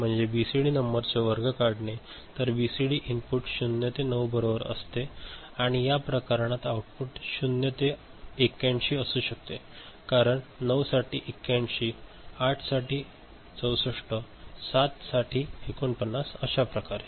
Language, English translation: Marathi, So, squaring of a BCD number; so, BCD input is 0 to 9 right and the output could be in this case 0 to 81, 9 is 81, 8 is 64, 7 is 49 ok